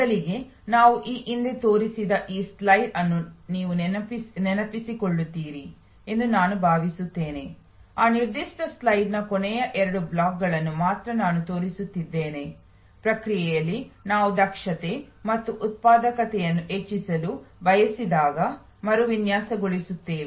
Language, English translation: Kannada, First, I think you will recall this slide which I had shown earlier, I am only showing the last two blocks of that particular slide, that in process redesign when we want to increase efficiency and productivity